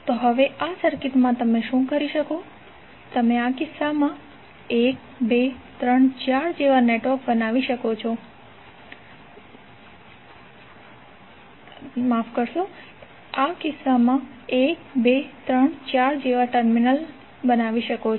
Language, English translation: Gujarati, So now, in all these circuits, what you can do, you can create the terminals like 1, 2, 3, 4 in this case